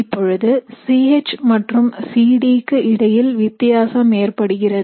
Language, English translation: Tamil, Now here what happens is there is a difference between C H and C D